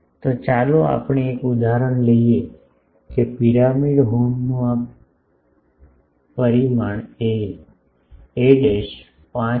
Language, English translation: Gujarati, So, let us take an example that a pyramidal horn has this dimension a dashed is 5